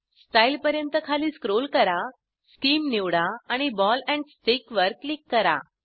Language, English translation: Marathi, Scroll down to Style, select Scheme and click on Ball and Stick option